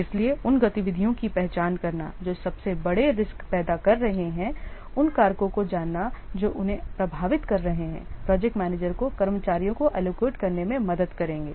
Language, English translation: Hindi, So, identifying the activities which are posing the greatest risks and knowing the factors which are influencing them will help the project manager to allocate the staff